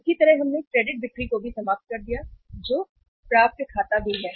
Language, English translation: Hindi, Similarly, we uh exhausted even the credit sales that is accounts receivables also